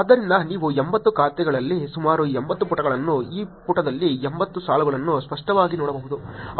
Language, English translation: Kannada, So you can clearly see there about 80 pages in 80 accounts, 80 rows in this page